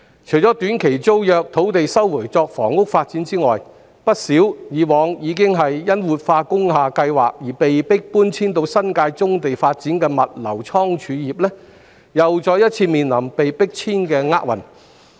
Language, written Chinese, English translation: Cantonese, 除了短期租約土地被收回作房屋發展外，以往曾因活化工廈計劃而被迫遷往新界棕地發展的不少物流倉儲業公司，亦再次面臨被迫遷的厄運。, Apart from some short - term tenancy sites which have been resumed for housing development many logistics and warehousing companies previously being forced to move to the brownfield sites in the New Territories because of the revitalization of industrial buildings are now facing another eviction